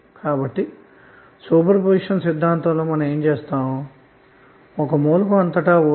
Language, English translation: Telugu, So what you do in superposition theorem